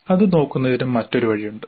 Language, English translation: Malayalam, We can look at it another way